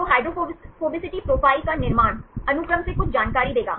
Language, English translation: Hindi, So, constructing hydrophobicity profiles, will give some information from the sequence